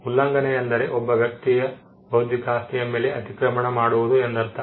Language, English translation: Kannada, Infringement is nothing but trespass into the intellectual property owned by a person